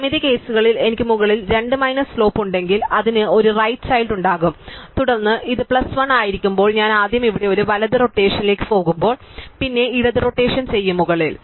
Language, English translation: Malayalam, And the symmetric cases, if I have a slope just minus 2 at the top, then it will have a right child and then if this as plus 1 when I will first to a right rotation here and then regardless I will do a left rotation of the top